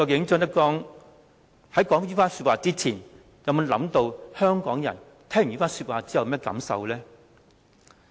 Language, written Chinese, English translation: Cantonese, 張德江說出這番話之前，究竟有否想過香港人聽到後有甚麼感受呢？, Before making such remarks had ZHANG Dejiang considered the reactions of Hong Kong people?